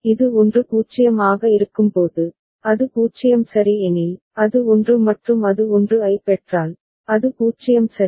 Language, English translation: Tamil, When it is at 1 0, if it receives 0 ok, it is 1 and if it is receives 1, it is 0 ok